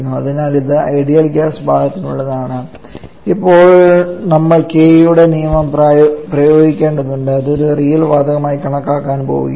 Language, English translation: Malayalam, So that is for the ideal gas part now we have to apply the Kays rule that is when we are going to treat the it has an has a real gas